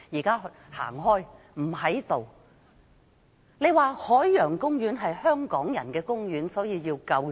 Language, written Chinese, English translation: Cantonese, 他說海洋公園是香港人的公園，所以要救濟。, He said that since the Ocean Park belonged to Hong Kong people subsidy should be provided